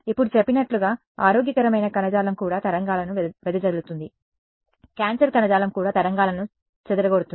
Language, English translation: Telugu, Now as was mentioned it can happen that healthy tissue will also scatter waves cancerous tissue will also scatter waves